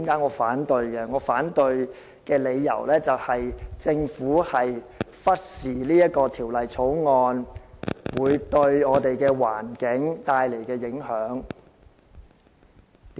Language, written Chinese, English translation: Cantonese, 我反對的理由，就是政府忽視了《條例草案》對環境帶來的影響。, The reason for my objection is that the Government has lost sight on the Bills environmental impact